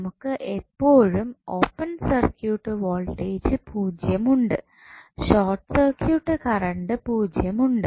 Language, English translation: Malayalam, So, what you can say that you always have open circuit voltage 0, short circuit current also 0